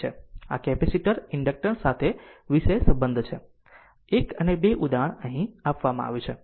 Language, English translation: Gujarati, So, with this capacitor inductors topic is closed 1 and 2 example is given here